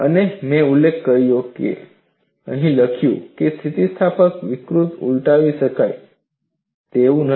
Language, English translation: Gujarati, And as I mention, it is written here that the anelastic deformation is irreversible